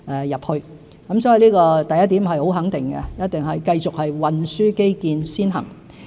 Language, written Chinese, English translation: Cantonese, 因此，第一點是很肯定的，一定是繼續運輸基建先行。, As such the answer to the first question is in the affirmative; we will surely continue with our transport infrastructure - led approach